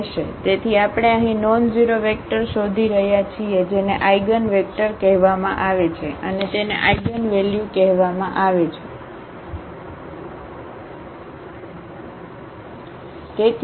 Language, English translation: Gujarati, So, we are looking for the nonzero vector here which is called the eigenvector and this is called the eigenvalue ok